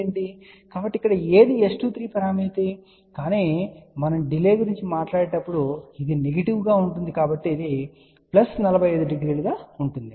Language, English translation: Telugu, So, here this is S 23 parameter, ok but when we talk about the delay delay will be negative of that so which is going to be plus 45 degree